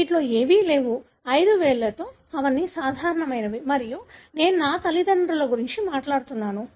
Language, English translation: Telugu, None of them have; they are all normal with five fingers, and of course I am talking about my parents